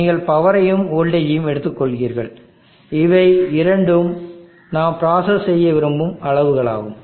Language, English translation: Tamil, And you are taking the power and the voltage these two are the quantities that we like to process